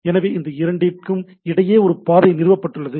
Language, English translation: Tamil, So, there is a path is established between these two, right